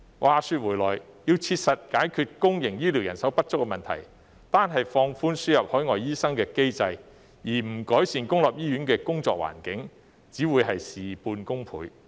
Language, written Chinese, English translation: Cantonese, 話說回來，要切實解決公營醫療人手不足的問題，單是放寬輸入海外醫生的機制，而不改善公立醫院的工作環境，只會事倍功半。, Back to our question . To practically resolve the manpower shortage in public healthcare it will only get half the result with twice the effort if the mechanism for importing overseas doctors is merely relaxed without improving the working environment in public hospitals